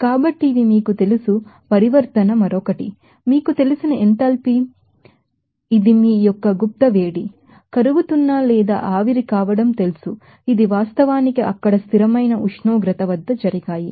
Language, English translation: Telugu, So, these are you know, transition another, you know enthalpy that is latent heat of you know melting or vaporization those are actually happened at a constant temperature there